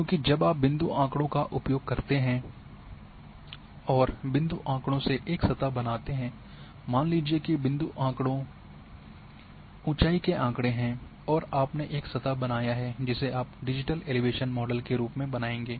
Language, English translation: Hindi, Because when you use the point data create a surface from point data say point data is elevation data you have created a surface which you will as digital elevation model